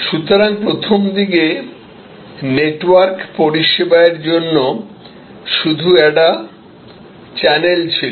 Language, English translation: Bengali, So, initially the network was another channel for delivery of service